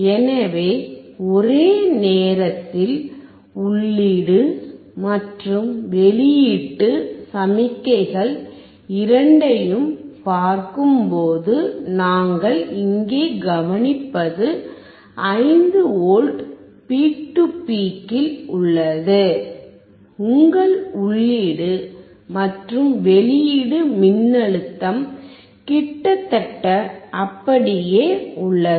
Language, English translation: Tamil, So, when we see both input and output signals simultaneously, what we observe here is at 5V peak to peak, your input and output voltage remains almost same